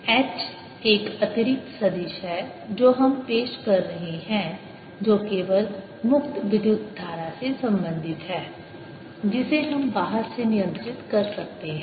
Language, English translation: Hindi, h is an additional vector which we are introducing that is related only to free current, which we can control from outside